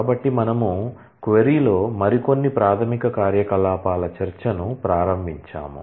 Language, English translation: Telugu, So, we started the discussion of some more basic operations in the query